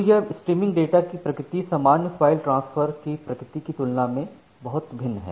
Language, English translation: Hindi, So, this streaming data the nature of streaming data is much different compared to the nature of normal file transfer